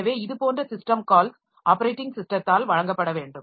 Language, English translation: Tamil, So, those system calls are to be provided by the operating system